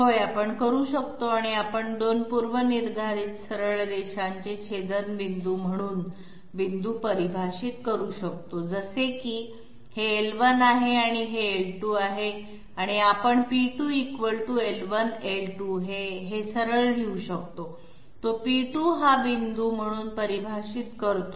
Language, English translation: Marathi, Yes we can, we can define points as intersection of two predefined straight lines like this might be L1, this might be L2 and we can simply right P2 = L1, L2 that is it, it defines P2 as this point